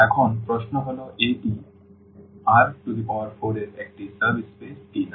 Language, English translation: Bengali, Now, the question is whether this is a subspace of the R 4 or not